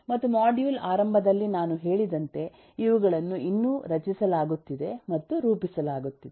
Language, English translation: Kannada, and as I mentioned at the beginning of the module is these are still being formed and formulated